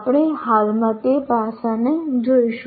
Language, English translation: Gujarati, We will presently see that aspect